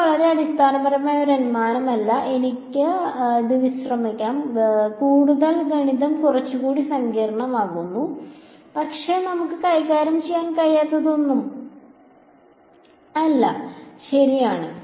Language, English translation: Malayalam, this is not a very fundamental assumption I can relax it, the math becomes a little bit more complicated, but nothing that we cannot handle ok